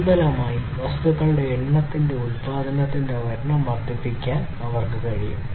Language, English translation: Malayalam, And consequently, they are able to increase the number of production of the number of objects and so on